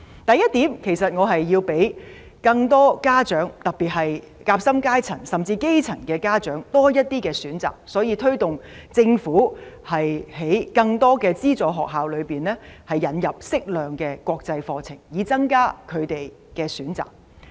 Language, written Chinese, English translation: Cantonese, 第一點，我希望讓更多家長，特別是夾心階層，甚至基層家長有多些選擇，所以推動政府在更多資助學校引入適量國際課程，以增加他們的選擇。, I hope that first more parents particularly those of the sandwiched class or even the grass roots can have more choices . Thus I have urged the Government to introduce a suitable proportion of international curriculum in more subsidized schools to give them more choices